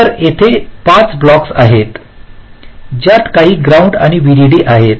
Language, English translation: Marathi, so this: there are five blocks with some ground and vdd requirements